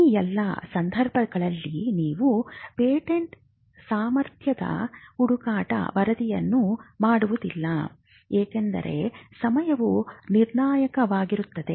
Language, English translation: Kannada, In all these cases you would not go in for a patentability search report, because timing could be critical